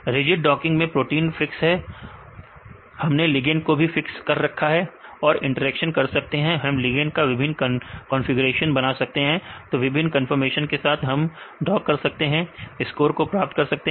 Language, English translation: Hindi, So, protein is fixed, ligand also we can fix and make the interactions, ligand we can make various configurations right with different conformation we can dock and get the score